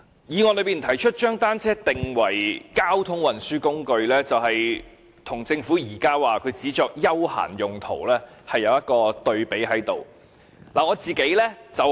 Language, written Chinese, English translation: Cantonese, 議案提出"將單車定為交通運輸工具"，就是與政府現時指它只作休閒用途，作出一個對比。, The motion proposes designating bicycles as a mode of transport which stands in contrast to the Governments claim that they are only for leisure